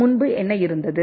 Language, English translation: Tamil, Previously what was there